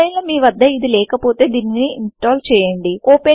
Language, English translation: Telugu, If you do not have it, you need to install it first